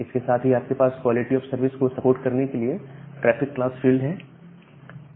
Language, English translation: Hindi, Along with that you have this traffic class field for supporting quality of service